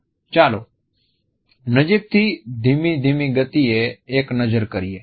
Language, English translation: Gujarati, Let us have a look in even slower slow motion from closer